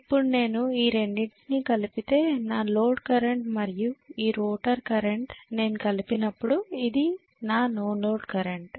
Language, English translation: Telugu, Now I have to add these two, the no load current and this particular rotor current when I add them together, so let us say this is my no load current